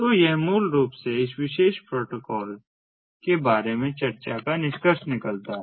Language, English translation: Hindi, so this basically concludes the discussion about ah, ah, this protocol, so ah